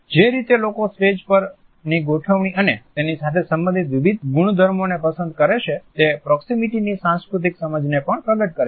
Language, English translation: Gujarati, The way people choose the mis en scene and different properties related with it, also communicates our cultural understanding of proximity